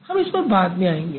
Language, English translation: Hindi, We'll see that in a while